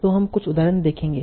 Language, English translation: Hindi, So let us take some simple example